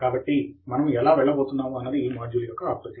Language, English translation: Telugu, So this is the outline of how we went about this module